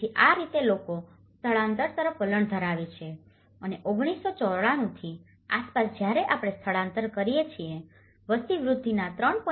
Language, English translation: Gujarati, So, that is how people tend to migrate and about 1994 when we see the migration, out of 4